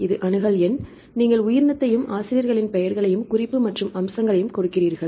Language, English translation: Tamil, So, this is accession number right here you give the organism and the authors names right the reference and the features